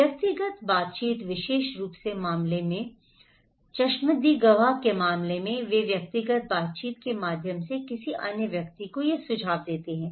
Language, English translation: Hindi, Personal interaction especially, in case especially, in case of eye witness they pass these informations to another person through personal interaction